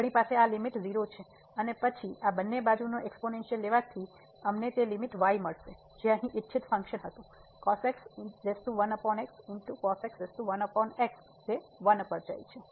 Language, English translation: Gujarati, So, we have this limit is 0 and then taking this exponential both the sides we will get the limit which was the desired function here power 1 over it goes to 1